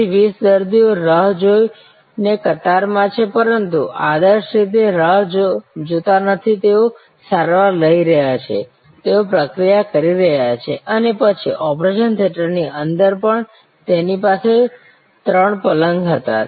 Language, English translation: Gujarati, So, 20 patients are in the queue waiting, but not waiting ideally they are getting treated, they are getting processed and then, even within the operation theater they had 3 beds